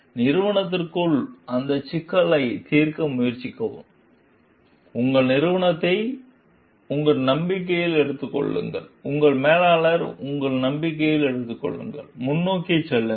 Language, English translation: Tamil, Try to solve that issue within the organization, take your company into your confidence; take your manager into your confidence, move ahead